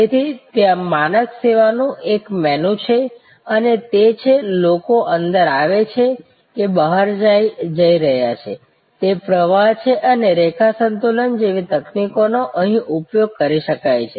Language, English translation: Gujarati, So, there is a menu of standardizing services and it is, people are coming in or going out, it is a flow shop and techniques like line balancing can be used here